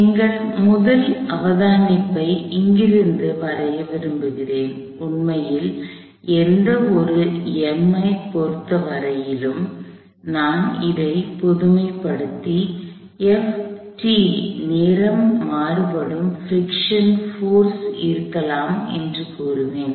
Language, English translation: Tamil, So, I want to draw our first observation from here, for any M in fact, I will generalize this and say that F of t can be a time varying friction force